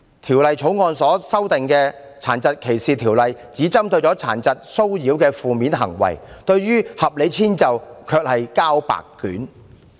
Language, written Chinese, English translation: Cantonese, 《條例草案》修訂《殘疾歧視條例》，但只針對殘疾騷擾的負面行為，對提供合理遷就卻是"交白卷"。, The Bill has amended DDO but it has only focused on negative acts of harassment to persons with disabilities and has nothing to write home about regarding the provision of reasonable accommodation